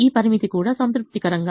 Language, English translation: Telugu, this constraint is also satisfied